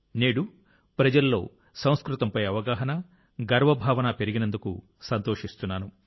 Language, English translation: Telugu, I am happy that today awareness and pride in Sanskrit has increased among people